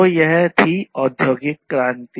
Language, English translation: Hindi, So, that was the industrial revolution